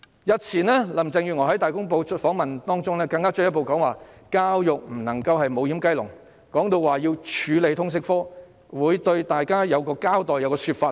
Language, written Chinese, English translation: Cantonese, 日前林鄭月娥在接受《大公報》的訪問中，更進一步指教育不能成為"無掩雞籠"，並提到要處理通識科，會向大家作一個交代，會有一個說法等。, In her previous interview with Ta Kung Pao Carrie LAM further remarked that education could not become a doorless chicken coop and mentioned the need to deal with Liberal Studies . She would give us an account present her argument so on and so forth